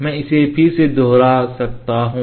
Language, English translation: Hindi, So, let us try to do this again